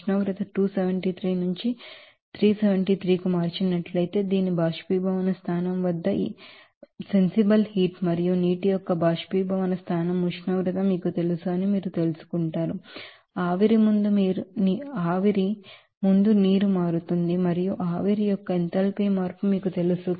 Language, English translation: Telugu, Again if you change the temperature from 273 to here 373 that is at its boiling point there will be a change of you know enthalpy of your sensible heat and again add that you know boiling point temperature of water you will see that the water will be becoming before vapour and at a you know that enthalpy change of vaporization